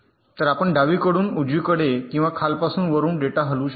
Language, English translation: Marathi, this is the schematic, so we can move a data from left to right or from bottom to top